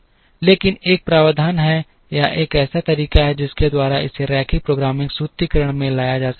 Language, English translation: Hindi, But, there is a provision or there is a way by which it can be brought into the linear programming formulation